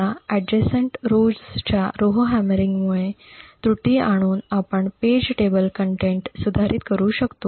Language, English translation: Marathi, Now by inducing an error through the Rowhammering of the adjacent rows we would be able to modify the contents of the page table